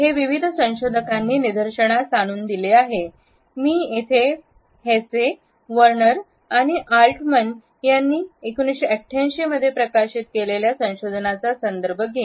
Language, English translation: Marathi, This has been pointed out by various researchers, I would refer to a particular research which was published in 1988 by Hesse, Werner and Altman